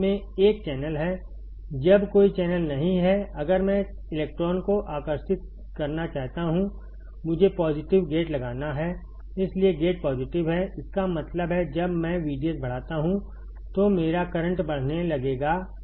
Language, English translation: Hindi, When there is no channel, if I want to attract electron; I have to apply positive gate that is why gate is positive; that means, when I increase V G S my current will start increasing